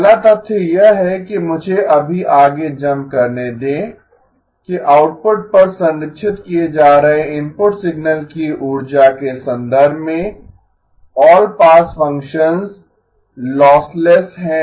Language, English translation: Hindi, The first one is the fact that let me just jump ahead that all pass functions are lossless in terms of the energy of the input signal being preserved at the output